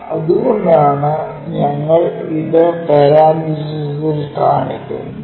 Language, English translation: Malayalam, So, that is the reason we show it in parenthesis